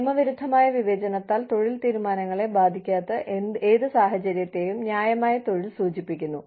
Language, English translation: Malayalam, Fair employment refers to, any situation in which, employment decisions are not affected, by illegal discrimination